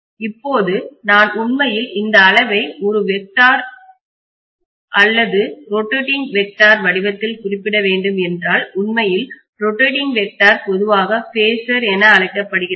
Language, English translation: Tamil, Now, if I have to actually refer to this quantity in the form of a vector or rotating vector, actually rotating vector is generally known as phasor